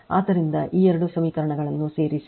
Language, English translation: Kannada, So, add these two equations if you do